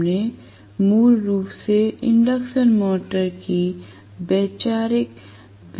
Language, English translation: Hindi, We basically looked at the conceptual features of the induction motor